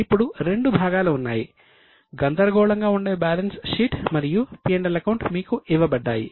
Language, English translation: Telugu, Now there are two parts both the jumbled balance sheet and P&L has been given to you